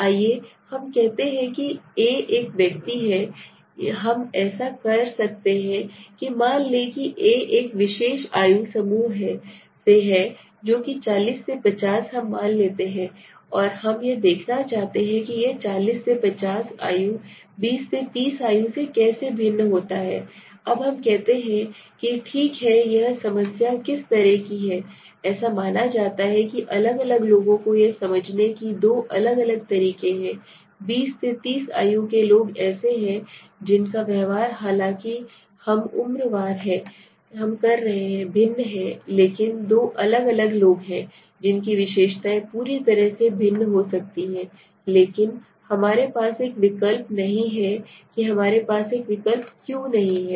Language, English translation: Hindi, A let us say A being an individual right we can do one thing suppose A is the particular age group of let us say 40 to 50 let us assume and we want to see how it varies for 40 to 50 and 20 to 30 let us say okay now the problem which what kind of studies is that 40 to 50 if we do and this is supposed to arrange that to different people please understand this there are two different people so twenty to thirty is one percent whose behavior although we are saying age wise they are different but there are two different people whose characteristics might be entirely different but we don't have an option why we do not have an option